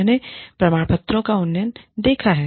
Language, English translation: Hindi, I saw the, gradation of certificates